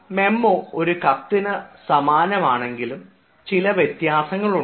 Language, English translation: Malayalam, a memo is just like a letter, but then there are certain differences